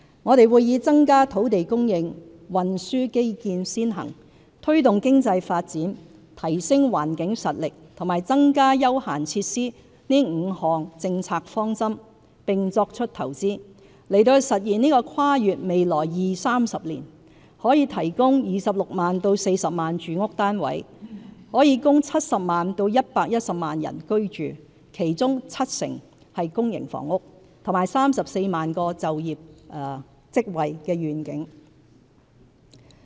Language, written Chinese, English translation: Cantonese, 我們會以增加土地供應、運輸基建先行、推動經濟發展、提升環境實力及增加休閒設施這5項政策方針，並作出投資，實現這個跨越未來二、三十年、可提供26萬至40萬住屋單位，供70萬至110萬人口居住，其中七成為公營房屋，和34萬個就業職位的願景。, The vision of providing 260 000 to 400 000 residential units with 70 % being public housing and accommodating 700 000 to 1 100 000 people and creating 340 000 jobs for the coming 20 to 30 years will be realized through five policy directions . They are increasing land supply according priority to transport infrastructure promoting economic development enhancing environmental capacity and increasing leisure and entertainment facilities . And we will make investment to achieve this vision